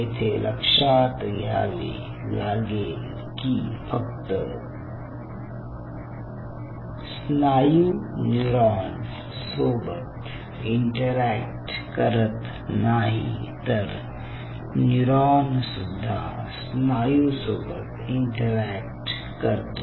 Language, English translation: Marathi, then it is already there, because not only that this muscle has to interact with the neuron, or the neuron has to interact with the muscle